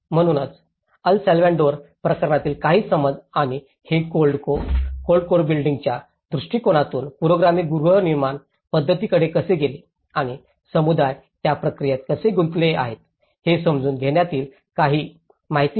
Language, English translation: Marathi, So, these are some of the understanding from the El Salvador case and how it slightly deferred from the cold core building approach to a progressive housing approach and how communities are involved in the process of it